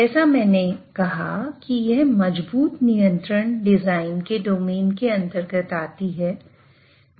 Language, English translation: Hindi, And as I said, this is under the domain of robust control design